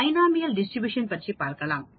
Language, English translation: Tamil, Let us check Binomial Distribution